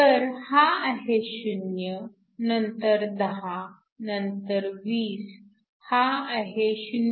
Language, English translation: Marathi, So, this is 0, you have 10, you have 20, this is 0